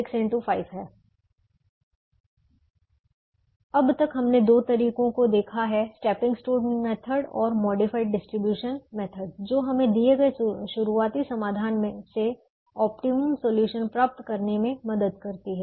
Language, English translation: Hindi, now, so far we have seen two methods, the stepping stone method and the modified distribution method, that help us get the optimum solution from a given starting solution